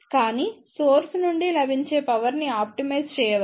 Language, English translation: Telugu, But power available from the source can be optimized